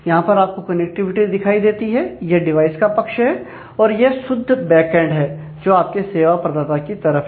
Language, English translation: Hindi, So, this is this is what shows the connectivity, this is the device side and this is the pure backend or your service provider side